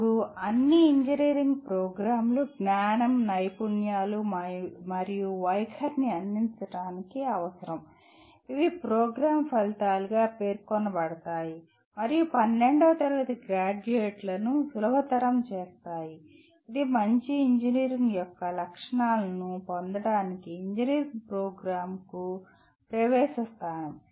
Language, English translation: Telugu, Now all engineering programs are required to impart knowledge, skills and attitudes which will be stated as program outcomes and to facilitate the graduates of 12th standard, that is the entry point to engineering program to acquire the characteristics of a good engineer